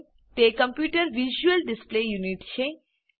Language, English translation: Gujarati, It is the visual display unit of a computer